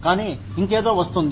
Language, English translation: Telugu, But, something else comes in